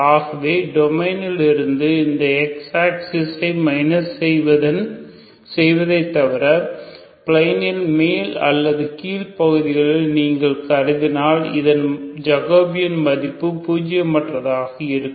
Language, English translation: Tamil, So except you have to consider the domain minus this X axis if you have to consider either upper of plane or lower of plane in which if you consider is Jacobian is non zero